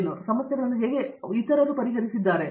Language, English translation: Kannada, How have they solved those kinds of problems